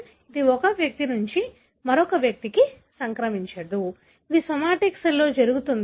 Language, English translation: Telugu, It does not get transmitted from one individual to other, it happens in a somatic cell